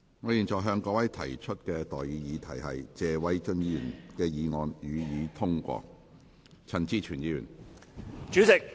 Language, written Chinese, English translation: Cantonese, 我現在向各位提出的待議議題是：謝偉俊議員動議的議案，予以通過。, I now propose the question to you and that is That the motion moved by Mr Paul TSE be passed